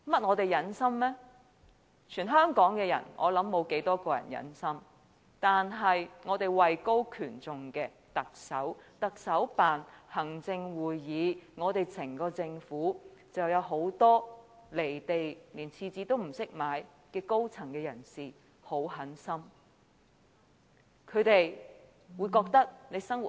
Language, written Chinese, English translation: Cantonese, 我想全港沒有多少人會如此忍心，但我們位高權重的特首、特首辦、行政會議和整個政府也有很多"離地"、連廁紙也不懂買的高層人士非常狠心。, I think not many people in Hong Kong are so heartless . However our Chief Executive who is a man in high position the Chief Executives Office the Executive Council and the entire Government which has many senior officials who are so very much detached from the ordinary masses so much so that they do not even know how to buy tissue paper are most heartless